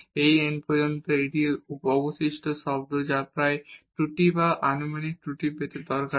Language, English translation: Bengali, Up to this n and this is the remainder term which is often useful to get the error or the estimation of the error in the approximation